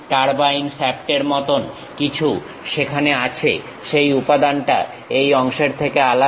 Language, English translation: Bengali, There is something like turbine shaft, that material is different from this part